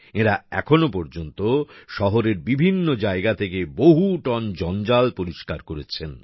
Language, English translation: Bengali, These people have so far cleared tons of garbage from different areas of the city